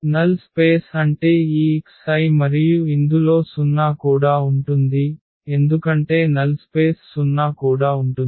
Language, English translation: Telugu, So, the null space means these x I and which includes the 0 also because the null space will also include the 0